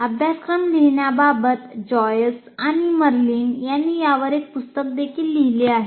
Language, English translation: Marathi, There is even a book written on this by Joyce and Marilyn about writing the syllabus